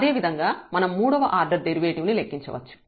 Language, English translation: Telugu, Similarly, we can compute the third order derivative